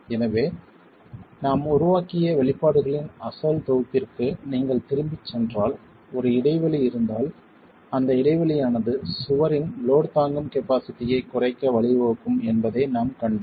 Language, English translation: Tamil, So if you were to go back to the original set of expressions that we developed, if there is a gap and we have seen that the gap will lead to a reduction in the load carrying capacity of the wall, right